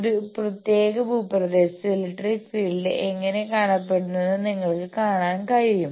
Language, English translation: Malayalam, You can see that how the electric field is looking place in a particular terrain